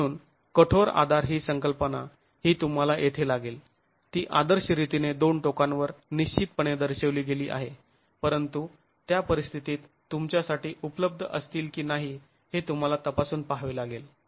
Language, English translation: Marathi, , the concept of the rigid support is something you will have to here it is ideally shown as fixity at the two ends but you have to examine if the conditions prevail for that to be available to you